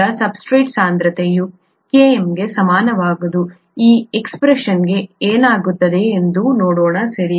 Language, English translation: Kannada, Now, when the substrate concentration becomes equal to Km, let us see what happens to this expression, right